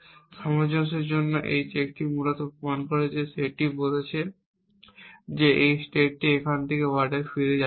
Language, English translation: Bengali, This check for consistency basically proving set saying move this state do not go back ward from here